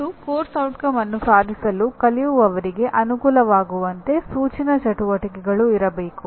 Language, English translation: Kannada, And instructional activities to facilitate the learners attaining the course outcome